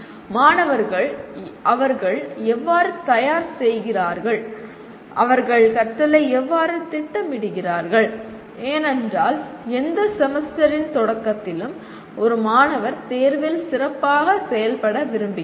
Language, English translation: Tamil, Now what happens students how do they prepare, how do they plan their learning because at the beginning of any semester, a student really wants to do well in the examination